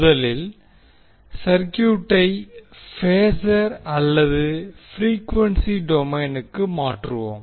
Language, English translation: Tamil, First, what we will do will transform the circuit to the phasor or frequency domain